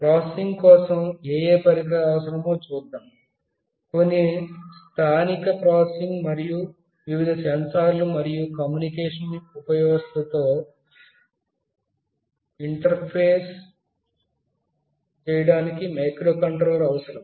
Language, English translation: Telugu, Let us see what all devices are required for the processing; microcontroller is required for carrying out some local processing, and interface with the various sensors and the communication subsystem